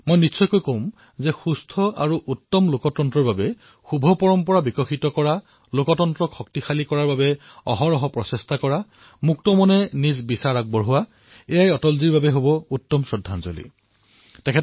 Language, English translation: Assamese, I must say that developing healthy traditions for a sound democracy, making constant efforts to strengthen democracy, encouraging openminded debates would also be aappropriate tribute to Atalji